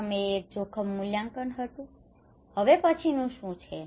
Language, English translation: Gujarati, First one was the risk appraisal, what is the next one